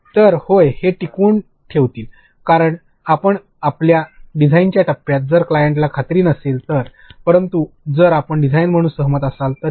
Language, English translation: Marathi, They will yeah they will be retained, because in your design phase if the client is not convinced, but if you are convinced as a designer